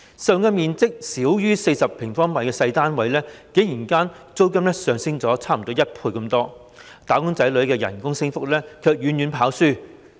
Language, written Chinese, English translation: Cantonese, 實用面積少於40平方米的小型單位，租金竟然上升近1倍，"打工仔女"的工資升幅卻遠遠落後。, The rents of small flats with a usable area of less than 40 sq m have nearly doubled whilst the increase in the wages of wage earners lags far behind it